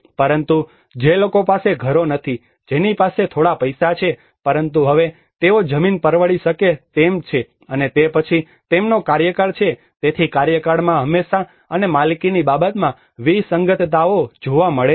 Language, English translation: Gujarati, But the people who are not having houses who have a little money but now they could able to afford the land and then they have a tenure so there is always the discrepancies occur in the tenure and the ownership aspect